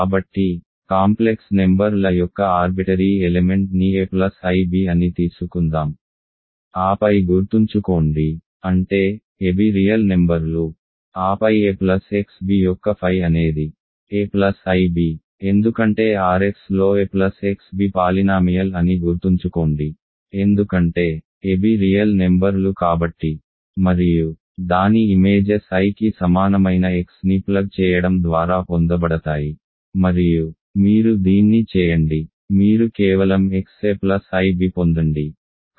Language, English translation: Telugu, So, let us taken arbitrary element of the complex numbers a plus i b, then remember; that means, a b are real numbers then phi of a plus x b is a plus i b right because remember a plus x b is a polynomial in R x because a b are real number and its images is obtained by plugging in x equal to i and do you that you just get x a plus i b